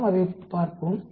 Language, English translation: Tamil, Let us look at it